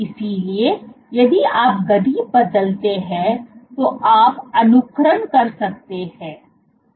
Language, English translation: Hindi, So, if you change the tip speed you can simulate